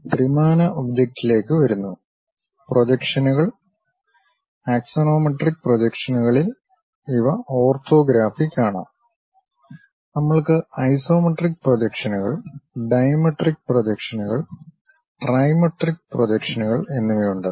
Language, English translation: Malayalam, Coming to three dimensional object; the projections, in axonometric projections these are orthographic; we have isometric projections, dimetric projections and trimetric projections